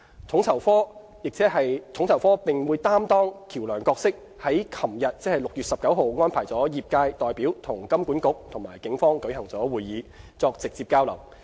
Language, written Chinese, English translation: Cantonese, 統籌科並擔當橋樑角色，於昨日安排業界代表與金管局及警方舉行會議，作直接交流。, FSO acted as a facilitator and lined up a meeting yesterday 19 June for industry representatives to exchange views direct with HKMA and the Police